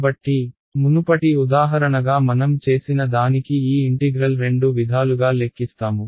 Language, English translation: Telugu, So, exactly similar to what we did in the previous example I will calculate this integral on by both ways